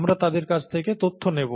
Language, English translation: Bengali, We’d be taking information from them